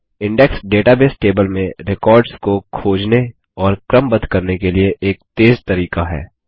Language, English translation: Hindi, An Index is a way to find and sort records within a database table faster